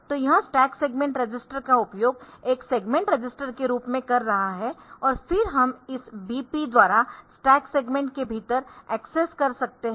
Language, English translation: Hindi, So, the this is using the stack segment register as a segment register and then we can have this accessing within the stack segment by this VP then this source index register SI